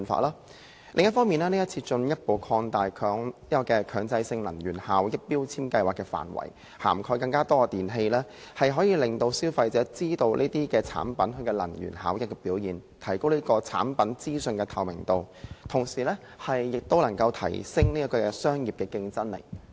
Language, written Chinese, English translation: Cantonese, 另一方面，今次進一步擴大強制性標籤計劃的範圍，以涵蓋更多電器，可以讓消費者知道這些產品的能源效益表現，提高產品資訊的透明度，同時亦能提升商業的競爭力。, Besides this legislative exercise will further extend the scope of MEELS to cover more electrical appliances to inform consumers of their energy efficiency increase the transparency of product information and enhance the competitiveness of the businesses